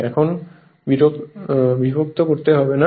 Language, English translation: Bengali, Right now you need not bother